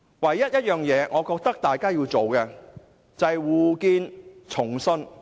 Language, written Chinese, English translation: Cantonese, 我認為大家唯一要做的，是重建互信。, In my view all we have to do is to rebuild mutual trust